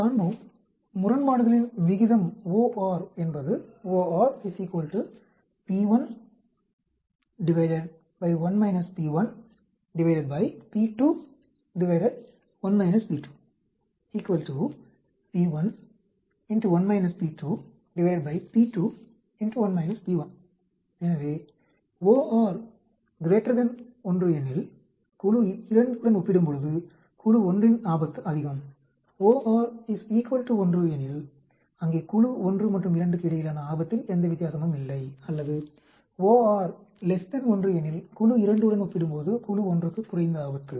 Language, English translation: Tamil, So, if OR is greater than 1, increase risk of group 1 when compared to group 2, if OR is equal to 1 ,there is no difference in risk between group 1 and 2, OR is less than 1, lower risk in group 1 when compared to group 2